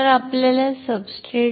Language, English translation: Marathi, So, you need a substrate